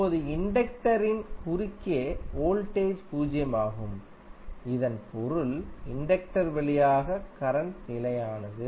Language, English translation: Tamil, Now voltage across inductor is zero, it means that current through inductor is constant